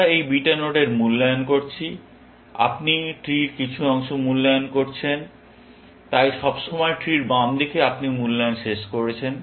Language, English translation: Bengali, We are evaluating this beta node and you have evaluated some part of the tree; so, always the left side of the tree, you have finished evaluating